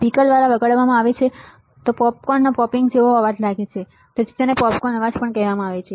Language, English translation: Gujarati, And played through a speaker it sounds like popcorn popping, and hence also called popcorn noise all right